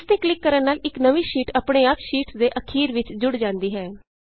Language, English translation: Punjabi, On clicking it a new sheet gets inserted automatically after the last sheet in the series